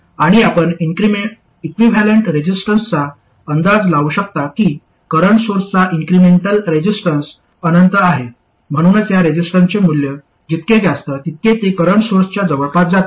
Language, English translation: Marathi, And as you can guess the equivalent resistance, the incremental resistance of a current source is infinity, so the larger the value of this resistance, the more closely it approximates a current source